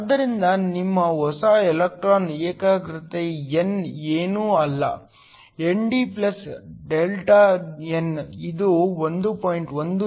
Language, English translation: Kannada, So, your new electron concentration n is nothing but ND + Δn which works out to be 1